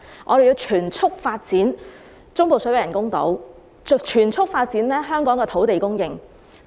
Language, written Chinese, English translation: Cantonese, 我們要全速發展中部水域人工島及增加香港的土地供應。, We have to develop the artificial islands in the Central Waters at full speed and increase the land supply in Hong Kong